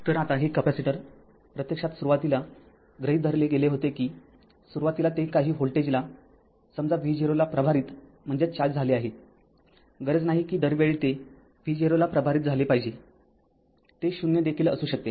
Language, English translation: Marathi, So, now this capacitor actually initially assumed, it was charged say some volt[age] say some voltage say v 0 not necessarily that it will be charged all the time v 0 can be 0 also